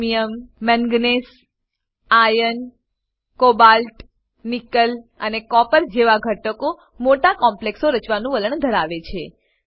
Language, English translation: Gujarati, Elements Chromium, Manganese, Iron, Cobalt, Nickel and Copper have a tendency to form a large number of complexes